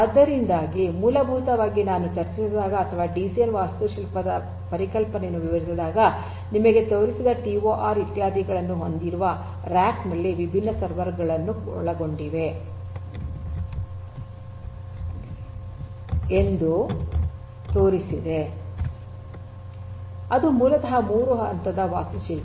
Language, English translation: Kannada, So, essentially at the outset when I discussed or when I explained the concept of a DCN the architecture that I had showed you consisting of different servers in a rack having TOR etcetera etcetera that is basically 3 tier architecture